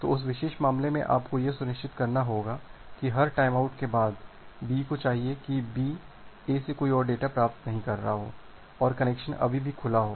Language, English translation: Hindi, So, in that particular case, you have to ensure that after every timeout, B should if B is not receiving any more data from A and the connection is still open